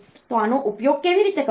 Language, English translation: Gujarati, So, how to use this